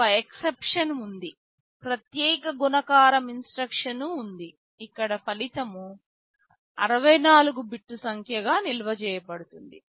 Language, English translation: Telugu, There is of course one exception; there is a special multiply instruction where the result is stored as a 64 bit number